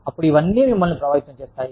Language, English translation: Telugu, Then, all this tends to affect you